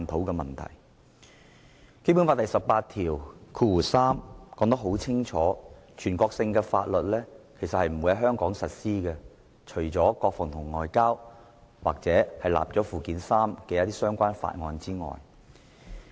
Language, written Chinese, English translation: Cantonese, 《基本法》第十八條第三款已清楚訂明，全國性法律不會在香港實施，國防、外交及已納入附件三的法律則除外。, Article 183 of the Basic Law clearly stipulates that national laws shall not be applied in Hong Kong except for those relating to defence and foreign affairs as well as others listed in Annex III